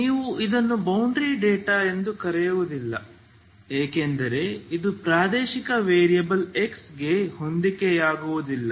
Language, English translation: Kannada, You don t call it boundary data because this is not corresponding to the spatial variable X